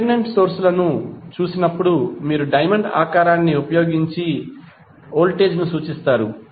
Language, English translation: Telugu, When you see the dependent sources you will see voltage is represented like this